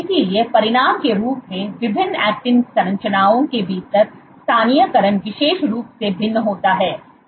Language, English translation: Hindi, So, as the consequence the localization within different actin structures varies notably